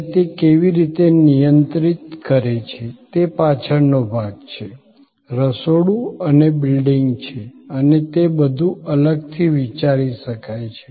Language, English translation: Gujarati, And how it managed it is back end, the kitchen and it is billing and all that, could be thought of separately